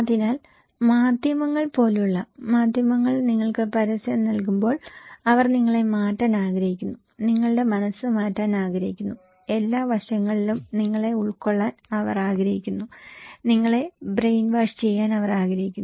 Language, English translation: Malayalam, So, like media like mass media when they give you advertisement, they want to change you, they want to change your mind, they want to cover you in every way every aspect, they want to brainwash you